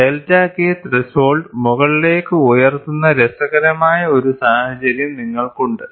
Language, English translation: Malayalam, You have a interesting situation where delta K threshold is pushed up; that is the situation we have here